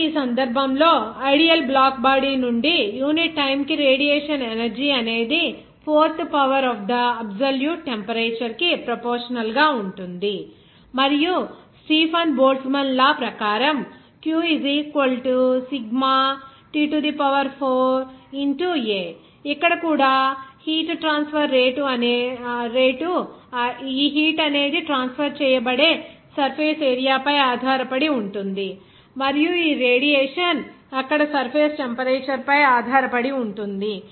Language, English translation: Telugu, So, in this case the radiation energy per unit time from an ideal black body is proportional to the fourth power of the absolute temperature and can be expressed as per Stefan Boltzmann law as like q = Sigma T4 A Here also, this heat transfer rate depends on the surface area through which this heat will be transferred and also this radiation depends on the temperature of the surface there